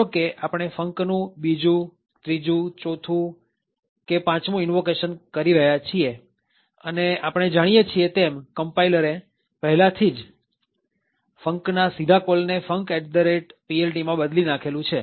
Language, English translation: Gujarati, So, let us say we are making the 2nd, 3rd, 4th or 5th invocation to func and as we know the compiler has already replace the direct call to func to a call to func at PLT